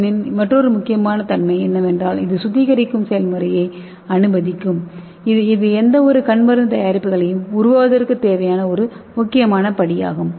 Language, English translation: Tamil, And another important advantage of this SLN is it will allow the sterilization process so which is a very necessary step towards formulation of any ocular preparations